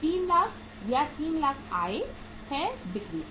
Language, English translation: Hindi, 3 lakhs or 300,000 is the income from the sales